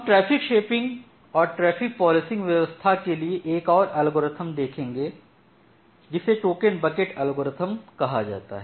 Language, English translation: Hindi, We will go for another algorithm for traffic policing and shaping it is called a token bucket algorithm